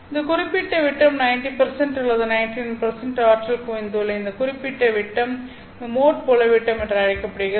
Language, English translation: Tamil, So, this particular diameter after you obtain, this particular diameter within which 90% or 99% of the energy is concentrated is called as the mode field diameter